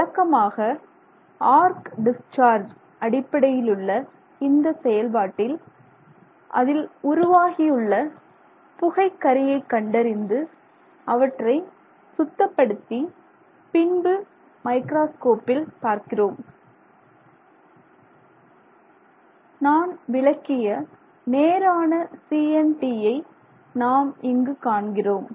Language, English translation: Tamil, So, usually when we do an arc discharge based synthesis, arc discharge based synthesis and we look at the suit that is generated and you clean up that suit and then you look at it in the microscope, what we find is we get what we can describe as straight CNTs